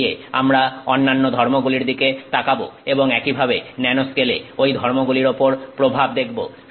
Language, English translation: Bengali, Going forward we will look at other properties and similarly look at, you know, impact of the nanoscale on those properties